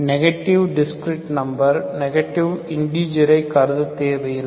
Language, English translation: Tamil, So we need not consider negative discrete numbers, so negative integers